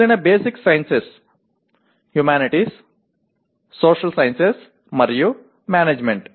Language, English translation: Telugu, The other ones are basic sciences, humanities, social sciences, and management